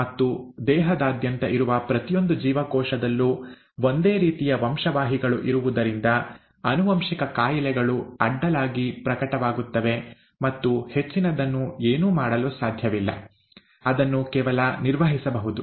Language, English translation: Kannada, And since the same genes are present in every single cell throughout the body, genetic diseases will manifest across and there is nothing much can be done, it can only be managed